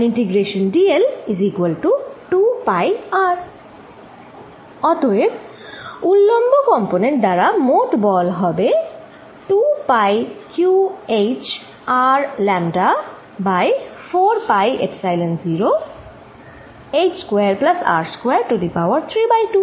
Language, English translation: Bengali, So, I can also write this as net charge on the ring times Q times h divided by 4 pi Epsilon 0 h square plus R square raise to 3 by 2